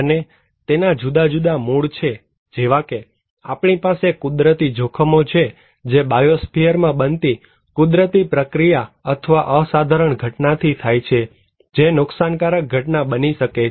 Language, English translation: Gujarati, And it has different origins like, we have natural hazards which are trigered from natural process or phenomena occurring in the biosphere that may constitute damaging event